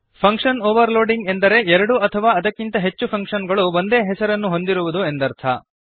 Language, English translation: Kannada, Function Overloading means two or more functions can have same name